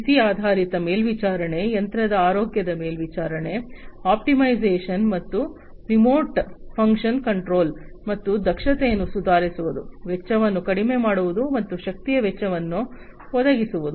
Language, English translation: Kannada, There would be provision for condition based monitoring, monitoring of machine health, optimization, and remote function control, and improving upon the efficiency, lowering the cost, and the energy expense